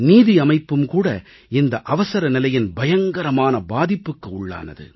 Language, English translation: Tamil, The judicial system too could not escape the sinister shadows of the Emergency